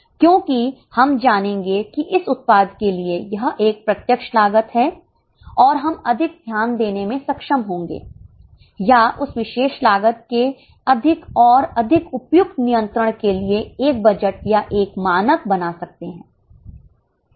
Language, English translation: Hindi, It also helps us in better control because we will know that for this product this is a direct cost and we will be able to give more attention or make a budget or a standard for more and more suitable control of that particular cost